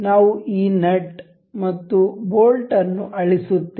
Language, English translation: Kannada, We will delete this nut and the bolt as well